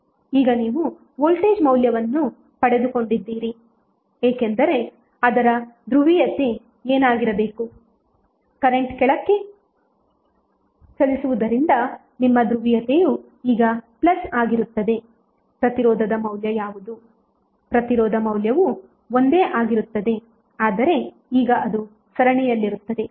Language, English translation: Kannada, Now, you have got the value of voltage what should be its polarity since, current is down ward so, your polarity will be plus now, what would be the value of resistance, resistance value will remain same but, now it will be in series